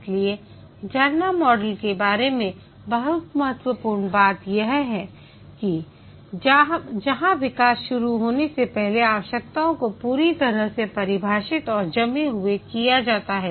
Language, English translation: Hindi, So, it is very critical about the waterfall model where the requirements are fully defined and frozen before the development starts